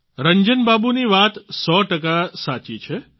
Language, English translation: Gujarati, Ranjan babu is a hundred percent correct